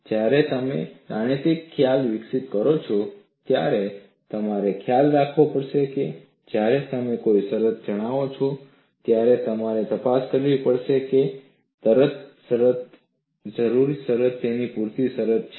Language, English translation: Gujarati, Whenever you develop a mathematical concept, you have to realize, when you state a condition; you have to investigate whether the condition is a necessary condition as well as a sufficient condition